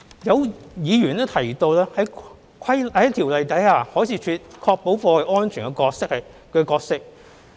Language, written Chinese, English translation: Cantonese, 有議員提及在《條例》下海事處確保貨櫃安全的角色。, Some Members mentioned the role of the Marine Department under the Ordinance in ensuring the safety of freight containers